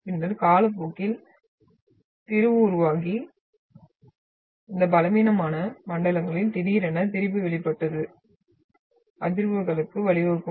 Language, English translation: Tamil, And then over the time, the strain will be developed and sudden release of the strain along these weak zones will result in to the vibrations